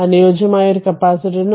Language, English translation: Malayalam, So, it is a linear capacitor